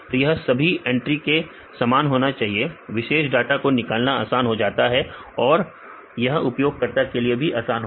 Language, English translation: Hindi, So, it should be same in all the entries then easier to fetch the data as well as for the user should be easier